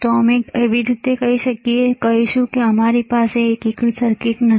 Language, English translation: Gujarati, So, how we will let us say we do not have this integrated circuits